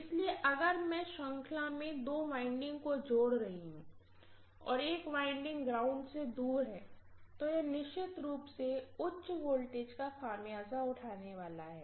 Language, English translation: Hindi, So if I am connecting two windings in series and one of the winding is away from the ground, it is definitely going to bear the brunt of higher voltages